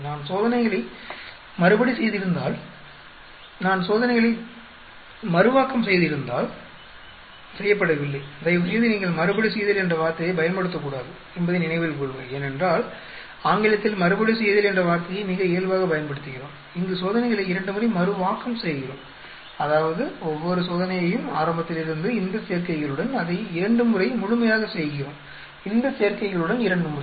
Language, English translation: Tamil, Suppose if I had repeated the experiments, if I had replicated the experiments, not repeated, please note you should not use a word repeat although, we in English, we use causally repeat, we replicate the experiments twice; that means, each of the experiments we, from the beginning we completely do it with these combinations two times, this combination is two times